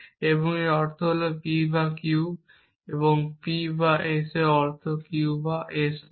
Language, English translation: Bengali, And you can see this is again not P or Q and not Q and not P